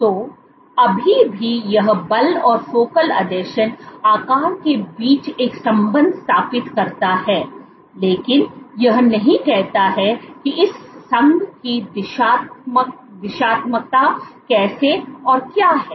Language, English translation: Hindi, So, still this establishes an association between force and focal adhesion size, but it does not say how what is the directionality of this association